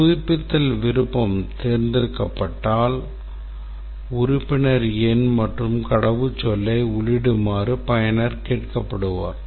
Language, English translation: Tamil, Requirement to when the renew option is selected, the user is asked to enter the membership number and password